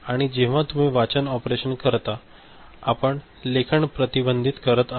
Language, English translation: Marathi, And then when you say read operation so, you are inhibiting write